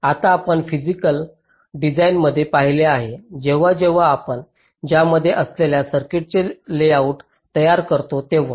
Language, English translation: Marathi, now, we have seen in physical design, so when we create the layout of the circuit, what does it contain